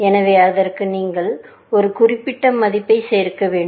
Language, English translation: Tamil, So, you will need to add a certain value to that, essentially